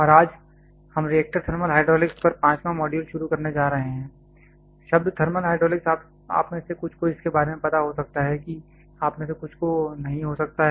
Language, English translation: Hindi, And, today we are going to start the 5th module on reactor thermal hydraulics the term thermal hydraulics some of you may be aware of it some of you may not be